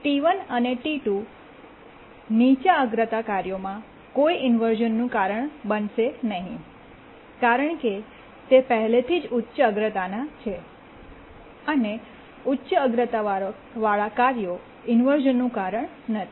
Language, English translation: Gujarati, T1 and T2 will not cause any inversion to the lower priority tasks because there are already higher priority and high priority task doesn't cause inversions